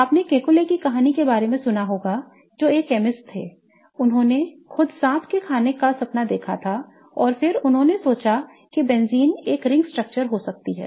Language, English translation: Hindi, You must have heard about the story of Keckyule, a chemist who dreamed about a snake eating itself and then he thought of benzene could be a ring structure